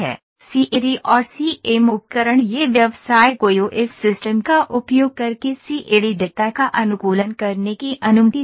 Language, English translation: Hindi, CAD and CAM tool it allows the business to optimise the CAD data using EOS system